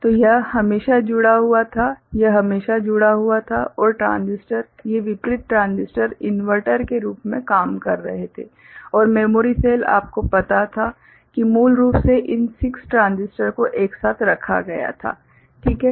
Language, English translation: Hindi, So, this was always connected, this was always connected and the transistors; these opposite transistors were acting as inverter and the memory cell was you know was basically made up of these 6 transistors put together, right